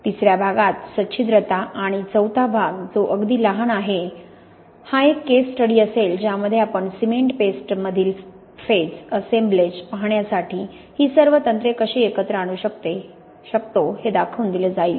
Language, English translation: Marathi, In the third part porosity and the fourth part which is very short will be a case study to show how we can bring all these techniques together to look at phase assemblages in cement paste